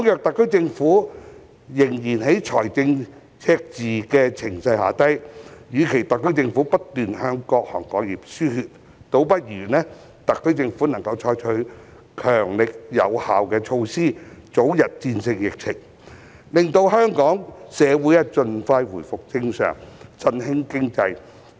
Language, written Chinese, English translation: Cantonese, 特區政府仍處於財政赤字的情勢下，與其不斷向各行各業輸血，倒不如採取強力有效的措施，早日戰勝疫情，令香港社會盡快回復正常，振興經濟。, The SAR Government is still facing a fiscal deficit . Instead of providing continuous financial assistance to various industries the Government should take strong and effective measures to overcome the epidemic expeditiously so that the Hong Kong community can get back to normal and our economy can be revitalized as soon as possible